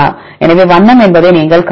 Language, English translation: Tamil, So, you can see the color is one